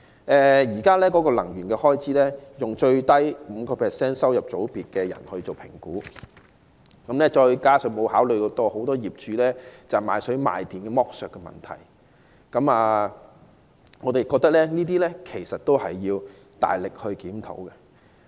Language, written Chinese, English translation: Cantonese, 現時能源開支是以收入最低的 5% 的人來評估，也沒有考慮很多業主賣水、賣電的剝削問題，我們認為這些均有需要大力檢討。, The existing assessment on power expenses is based on the lowest 5 % income group which does not give regard to the exploitation problem of landlords selling water and electricity to tenants . I think the authorities have to step up its effort in reviewing these issues